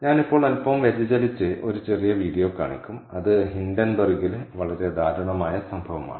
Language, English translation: Malayalam, i will just deviate a little bit now and show you a small video, which is the very tragic incident of hindenburg